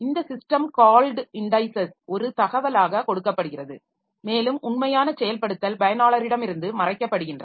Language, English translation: Tamil, So, this system call indices are provided as the information and actual implementation is hidden from the user